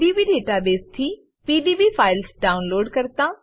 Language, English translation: Gujarati, * Download .pdb files from PDB database